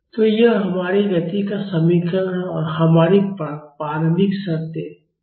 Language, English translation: Hindi, So, this is our equation of motion and we have our initial conditions